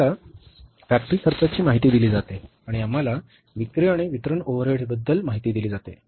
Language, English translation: Marathi, We are given the information about the factory cost and we are given the information about the, say the selling and distribution overheads